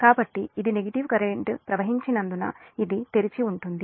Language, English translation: Telugu, so this will remain open because no negative sequence current can flow